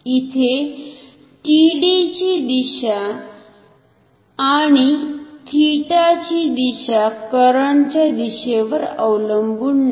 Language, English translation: Marathi, Here the direction of TD and theta do not depend on the direction of current